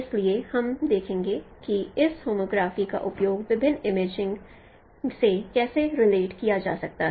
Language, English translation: Hindi, So we will let us see that how this homography could be used in relating different imaging